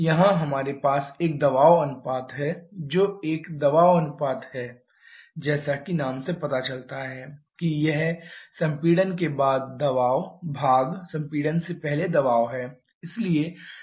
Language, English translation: Hindi, Here we have a pressure ratio which is a pressure ratio as the name suggests it is pressure after compression and pressure before compression